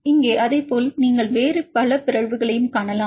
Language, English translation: Tamil, Here likewise other than that you can see several other mutations